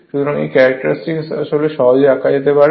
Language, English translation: Bengali, So, this characteristic, you can easily draw